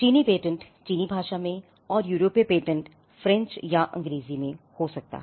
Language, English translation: Hindi, So, for the Chinese patent in the Chinese language, European patents could be in French, it could be in English